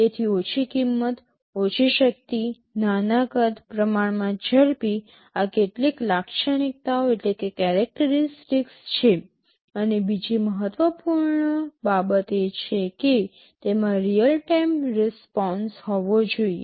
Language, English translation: Gujarati, So, low cost, low power, small size, relatively fast these are some of the characteristics, and another important thing is that it should have real time response